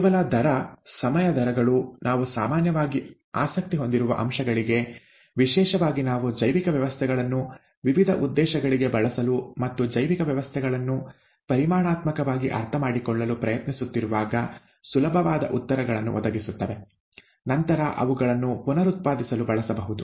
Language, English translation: Kannada, Only rate, time rates would provide us with easy answers to aspects that we are usually interested in, especially when we are trying to use biological systems for various different ends, as well as understand biological systems quantitatively so that it can be reproducibly used later on